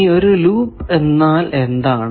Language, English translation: Malayalam, Now, what is a loop